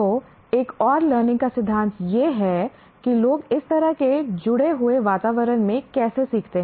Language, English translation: Hindi, So, another learning theory is how do people learn in such a connected environment